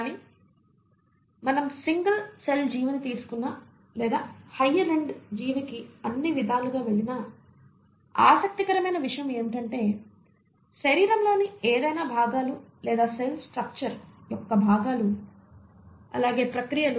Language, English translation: Telugu, But whether we take a single celled organism or we go across all the way to higher end organism, what is interesting is to note and this is what we all cling on to is that certain processes of life are fundamentally conserved